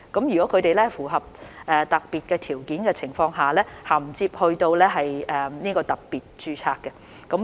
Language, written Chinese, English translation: Cantonese, 如果他們符合特定的條件，可銜接到特別註冊。, They may migrate to special registration if they meet the specific requirements